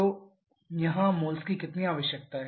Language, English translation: Hindi, So, how much moles are required here 9